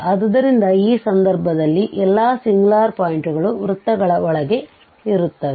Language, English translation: Kannada, So, in this case all these singular points are lying inside the circles